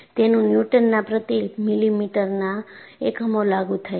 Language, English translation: Gujarati, It has units of Newton per millimeter